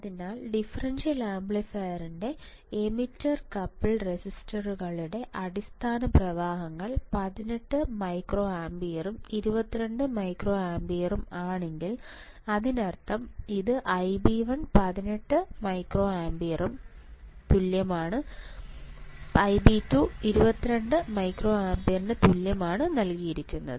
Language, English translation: Malayalam, So, if the base currents of the emitter couple transistors of a differential amplifier are 18 microampere and 22 microampere; that means, it is given by I b 1 equals to 18 microampere it is given that I b 2 equals to 22 microampere right and what we are asked determined first input bias current